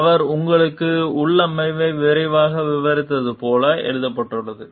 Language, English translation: Tamil, It is written like he described the configuration to you in details